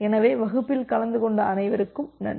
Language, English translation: Tamil, So, thank you all for attending the class